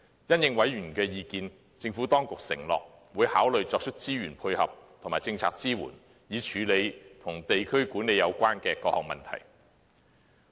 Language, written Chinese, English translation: Cantonese, 因應委員的意見，政府當局承諾會考慮作出資源配合及政策支援，以處理與地區管理有關的各項問題。, In response to the views expressed by members the Government pledged that it would consider tackling problems concerning district administration with the necessary resource backup and policy support